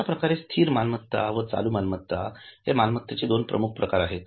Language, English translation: Marathi, So, fixed assets, current assets, these are the major examples of assets